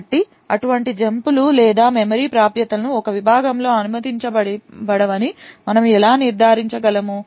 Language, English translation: Telugu, So how do we actually ensure that such jumps or memory accesses are not permitted within a segment